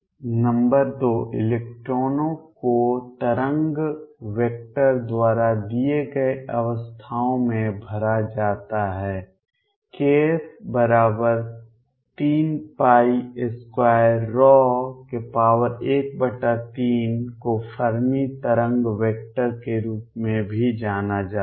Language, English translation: Hindi, Number 2 is electrons are filled up to states given by wave vector, k f equals 3 pi square rho raise to one third is also known as the Fermi wave vector